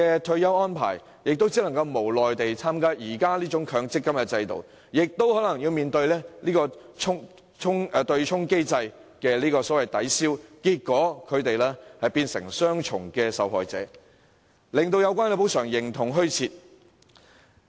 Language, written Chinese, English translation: Cantonese, 他們只能無奈地受制於強積金制度下的退休安排，更可能要面對對沖機制的抵銷，變成雙重受害者，最終使有關補償形同虛設。, They can only be gripped helplessly by the retirement arrangements made under the MPF System . What is more they might have to face the offsetting mechanism thereby becoming double victims and the relevant compensation will eventually not serve its purpose at all